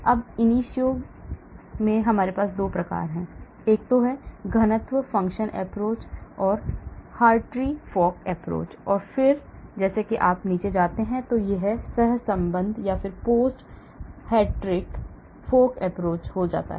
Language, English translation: Hindi, Again in ab initio we have 2 types, the density function approach, the Hartree Fock approach and then as you go down it becomes correlated post Hartree Fock approach